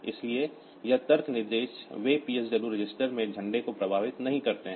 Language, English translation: Hindi, So, this logic instructions they do not affect the flags in the PSW register